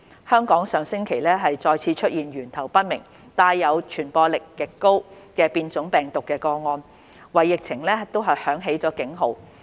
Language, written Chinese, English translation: Cantonese, 香港上星期再次出現源頭未明、帶有傳播力極高的變種病毒個案，為疫情響起警號。, Last week in Hong Kong a confirmed case with unknown source of infection involving the highly transmissible mutant strain emerged sounding the alarm for the epidemic